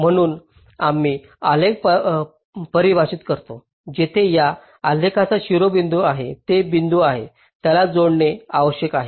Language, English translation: Marathi, so we define a graph where the vertices of a graph of this graph are the points that need to be connected